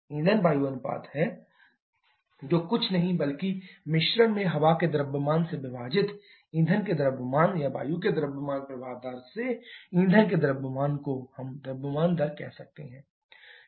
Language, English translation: Hindi, Fuel air ratio is nothing but the mass of fuel divided by mass of air in a mixture or we can say the mass flow rate of fuel by mass flow rate of air